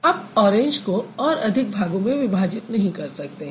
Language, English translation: Hindi, So, you can't break orange into any part